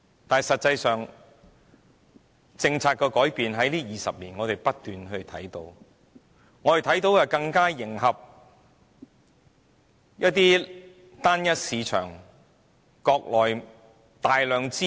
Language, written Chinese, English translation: Cantonese, 但實際上，我們在這20年間，不斷看到政策改變，看到是想更加迎合單一市場，即着眼國內大量的資本。, But in reality we keep seeing policy changes in the last 20 years as they want to cope with one single market and target at the massive amount of capital from the Mainland